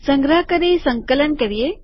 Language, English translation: Gujarati, Let us compile it